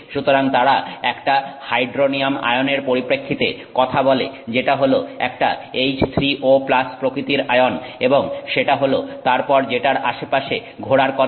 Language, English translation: Bengali, So they talk in terms of a hydronium ion which is a H3O, H3O plus kind of ion and that that is what is supposed to move around